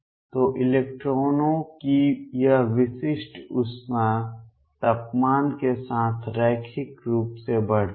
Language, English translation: Hindi, So, this specific heat of the electrons increases linearly with temperature